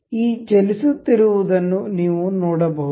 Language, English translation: Kannada, You can see this moving